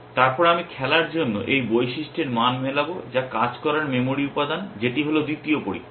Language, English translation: Bengali, Then, I will match the value of this attribute to play which the working memory element that is the second test